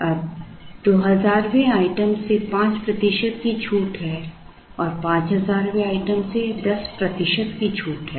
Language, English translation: Hindi, Now, there is a 5 percent discount from the 2000 item and there is a 10 percent discount from the 5000 item